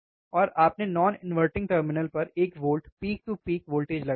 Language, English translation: Hindi, And you have applied voltage at the non inverting terminal one volt peak to peak